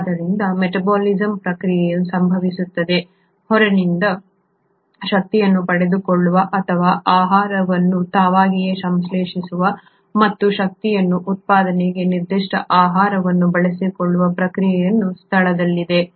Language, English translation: Kannada, So the metabolism happens, there is a process in place to acquire energy either from outside or synthesise the food on their own and then utilise that particular food for generation of energy